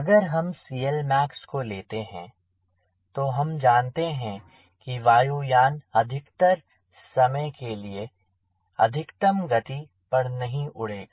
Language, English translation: Hindi, if i take this c l max, we know that most of the time when the airplane will be flying it will not be flying axial max